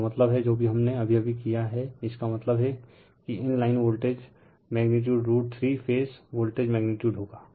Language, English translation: Hindi, That means, so whatever we did just now so that means, that line to line voltage magnitude will be root 3 time phase voltage magnitude